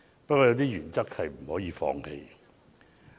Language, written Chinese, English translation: Cantonese, 不過，有些原則也不可以放棄。, However there are some principles that I cannot abandon